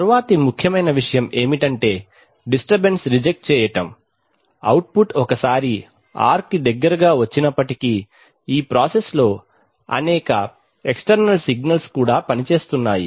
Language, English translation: Telugu, The next important point is, of course, to reject disturbances that is, even if the output once comes close to ‘r’ there are several external signals which are working on this process